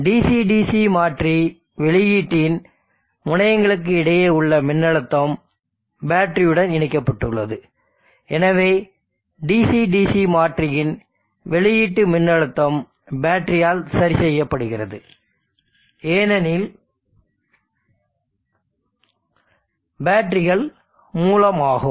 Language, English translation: Tamil, The voltage across terminals of the Dc DC converter output is connected the battery and therefore the output of the DC DC converter the voltage is fixed by the battery, because the batteries are source